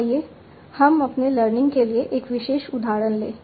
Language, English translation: Hindi, So let's take a particular instance in my learning